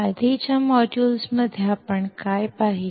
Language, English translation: Marathi, In the earlier modules, what have we seen